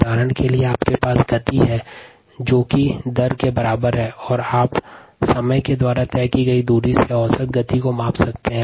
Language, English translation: Hindi, for example, ah, you have speed, which is equivalent of rate, and you could measure an average speed by the distance travelled, by time taken